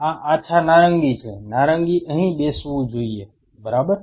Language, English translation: Gujarati, These are light say orange; orange should be sitting here ok